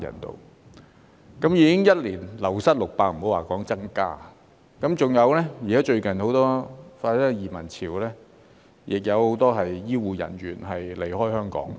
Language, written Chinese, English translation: Cantonese, 一年已經流失600人，更不用說增加，而最近的移民潮亦令很多醫護人員離開香港。, The number of wastage was already 600 in one year let alone an increase and the recent wave of emigration has also caused many healthcare workers to leave Hong Kong